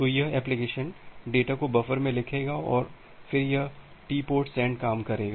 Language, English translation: Hindi, So, this application, it will write the data in the buffer and then this TportSend() function